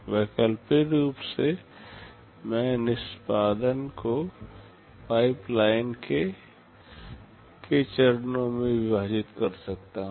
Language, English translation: Hindi, Alternatively, I can divide the execution into k stages of pipeline